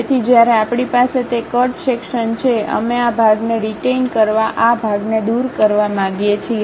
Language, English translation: Gujarati, So, when we have that cut section; we would like to retain this part, remove this part